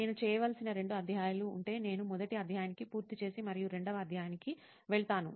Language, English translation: Telugu, So if I have two chapters to do, I will go thoroughly to first chapter complete and second